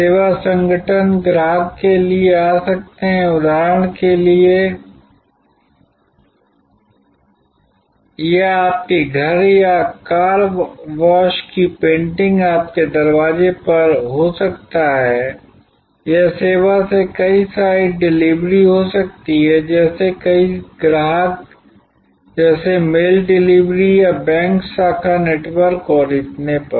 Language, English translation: Hindi, Service organization can come to the customer for example, it could be painting of your house or car wash at your doorstep, it could be multiple site delivery from the service too many customers like the mail delivery or the bank branch network and so on